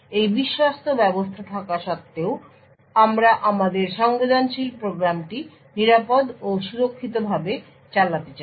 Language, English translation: Bengali, In spite of this untrusted system we would want to run our sensitive program in a safe and secure manner